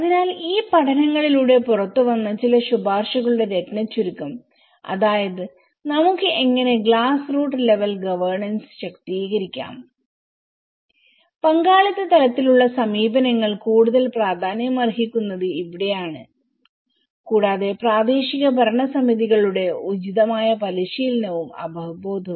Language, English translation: Malayalam, So, gist of some of the recommendations which came out through these studies like how we can empower the glass root level governance this is where the participatory level approaches are more important and also the appropriate training and awareness of local governing bodies